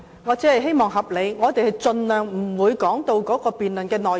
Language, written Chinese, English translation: Cantonese, 我只希望議員發言合理，盡量不說到辯論的內容。, I just hope that Members speak reasonably and try not to discuss contents that should be included in the debate